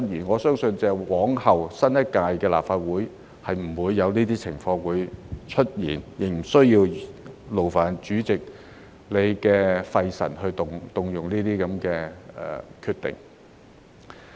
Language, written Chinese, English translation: Cantonese, 我相信由之後新一屆立法會開始，這些情況均不會出現，主席亦不用費神作出有關這些情況的決定。, I believe that from the next term of the Legislative Council none of these situations will arise and the President can save the effort of making decisions in respect of these situations